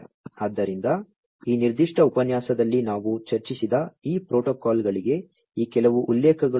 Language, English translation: Kannada, So, these are some of these references for these protocols that we have discussed in this particular lecture